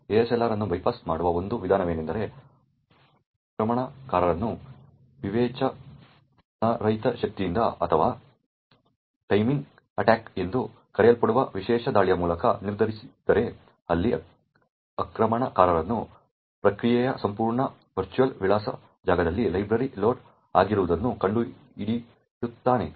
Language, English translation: Kannada, One way of bypassing ASLR is if the attacker determines either by brute force or by special attacks known as timing attacks, where the attacker finds out where in the entire virtual address space of the process is the library actually loaded